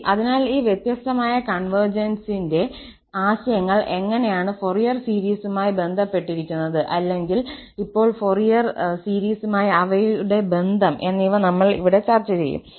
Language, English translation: Malayalam, Well, so how these different notions of convergence are related to the Fourier series or now, we will discuss here, their connection to the Fourier series